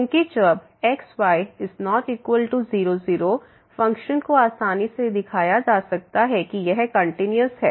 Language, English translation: Hindi, Because, when is not equal to , the function can be easily shown that this is continuous